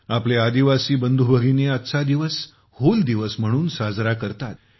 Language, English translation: Marathi, Our tribal brothers and sisters celebrate this day as ‘Hool Diwas’